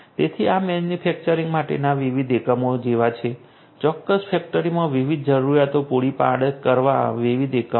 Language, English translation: Gujarati, So, these are like different units for manufacturing you know different units scattering to the different requirements within a particular factory